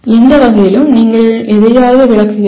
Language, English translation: Tamil, In whatever way, you are explaining something